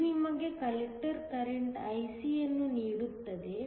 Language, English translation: Kannada, This gives you the collector current IC